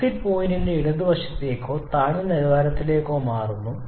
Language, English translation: Malayalam, The exit point is getting shifted towards left or towards lower quality side